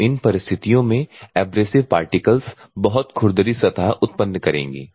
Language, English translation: Hindi, So, in these circumstances the abrasive particles will generate very rough surfaces